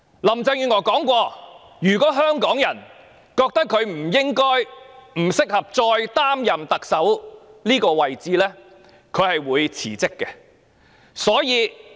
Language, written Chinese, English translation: Cantonese, 林鄭月娥曾經聲言，如香港人認為她不應該及不適合繼續擔任特首這職位，她會辭職。, Carrie LAM has once claimed that she would resign if the people of Hong Kong do not consider it appropriate and suitable for her to continue to hold office as Chief Executive